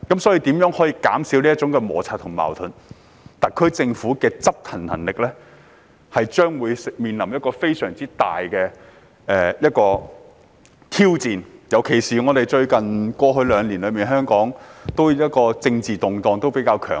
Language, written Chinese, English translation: Cantonese, 對於如何減少摩擦和矛盾，特區政府的執行能力將會面臨一大挑戰，特別是香港過去兩年的政治局勢較為動盪。, Regarding the ways to reduce frictions and conflicts the SAR Government is going to face a major challenge in its enforcement capability especially because the political situation in Hong Kong has been quite volatile in the past two years